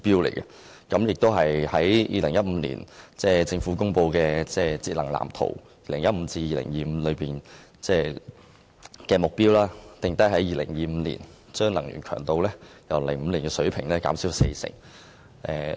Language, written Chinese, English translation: Cantonese, 此外，政府在2015年公布《香港都市節能藍圖 2015～2025＋》，目標是要在2025年把能源強度由2005年的水平減少四成。, Moreover in 2015 the Government announced the Energy Saving Plan for Hong Kongs Built Environment 20152025 and set the target for reducing our energy intensity by 40 % by 2025 relative to the 2005 level